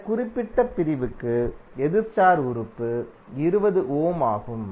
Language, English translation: Tamil, For this particular segment, the opposite star element is 20 ohm